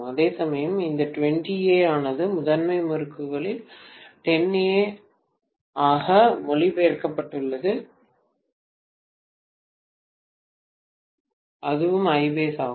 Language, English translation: Tamil, Whereas this 20 ampere get translated into the primary side as 10 ampere and that is also I base